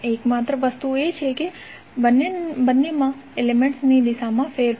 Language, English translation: Gujarati, The only thing is that the change in the orientation of the elements